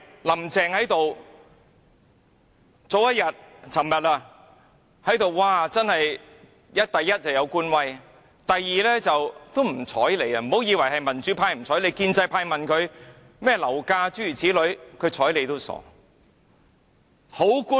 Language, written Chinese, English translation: Cantonese, "林鄭"昨天多有官威，而且根本不理會議員的提問，不要以為是民主派，即使建制派問她樓價的問題，她理也不理。, Carrie LAM was overwhelmed with official authority yesterday . She did not bother to answer Members questions not only questions raised by the Democratic Party but also a question on property prices by a pro - establishment Member